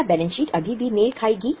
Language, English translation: Hindi, Then will the balance sheet still tally